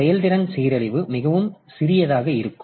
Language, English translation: Tamil, So, if we want that the performance degradation will be very small